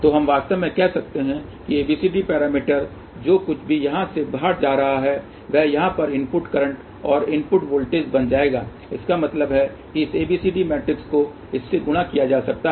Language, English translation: Hindi, So, we can actually say that ABCD parameter of this whatever is the current going out from here will become input current and input voltages over here so that means, this ABCD matrix can be multiplied with this